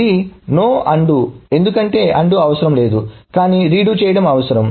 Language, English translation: Telugu, So no undo because undoing is not needed but redoing is needed